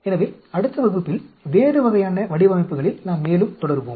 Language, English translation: Tamil, So, it will, we will continue further in the next class on a different types designs